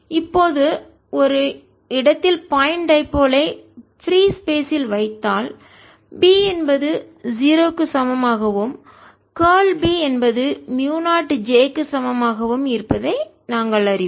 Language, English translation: Tamil, now, in case of a point dipole placed in free space, we know divergence of b equal to zero and curl of b is equal to mu zero j